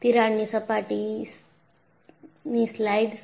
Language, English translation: Gujarati, And, the crack surface slides